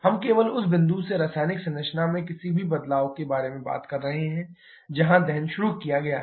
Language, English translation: Hindi, We are talking about any change in chemical composition just from the point where combustion is initiated